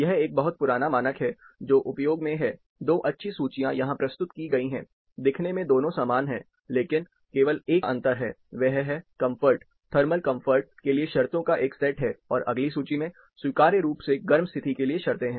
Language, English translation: Hindi, This is a very old standard, which has been in use, 2 nice tables have been presented here, similar looking tables, but only differences ie this is, a set of conditions for comfort, thermal comfort, and the next table is, conditions for, acceptably warm conditions